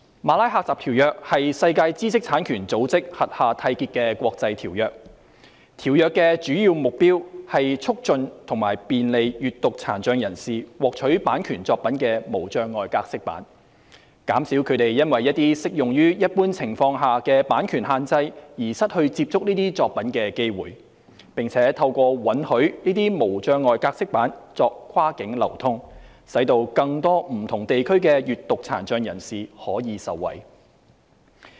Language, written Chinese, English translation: Cantonese, 《馬拉喀什條約》是在世界知識產權組織轄下締結的國際條約，條約的主要目標是促進及便利閱讀殘障人士獲取版權作品的無障礙格式版，減少他們因為一些適用於一般情況下的版權限制而失去接觸這些作品的機會，並且透過允許這些無障礙格式版作跨境流通，使更多不同地區的閱讀殘障人士可以受惠。, The Marrakesh Treaty is an international agreement concluded under the auspices of the World Intellectual Property Organization . Its main goal is to facilitate and enhance access to copyright works in accessible formats for persons with a print disability alleviate some of the copyright limitations that would in normal circumstances prevent their access to these works and benefit more people from different regions with print disabilities by allowing accessible copies to be distributed across borders